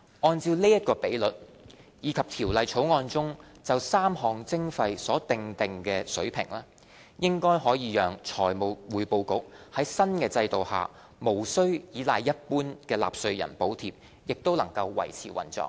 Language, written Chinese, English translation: Cantonese, 按照這比率，以及《條例草案》中就3項徵費所訂定的水平，應可讓財務匯報局在新制度下無須倚賴一般納稅人補貼也能維持運作。, On this basis and having regard to the levels of the three levies as determined under the Bill the Financial Reporting Council should be able to sustain its operation under the new regime without subsidy from general taxpayers